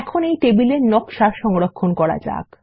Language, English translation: Bengali, Now let us save the table design and we are done